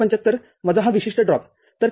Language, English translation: Marathi, 75 minus this particular drop, so 3